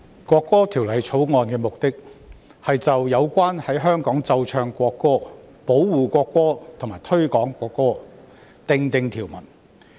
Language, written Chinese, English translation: Cantonese, 《國歌條例草案》的目的，是就有關在香港奏唱國歌、保護國歌及推廣國歌訂定條文。, The purpose of the National Anthem Bill the Bill is to provide for the playing and singing of national anthem in Hong Kong for the protection of national anthem and for the promotion of national anthem